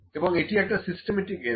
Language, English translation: Bengali, And it is a kind of a systematic error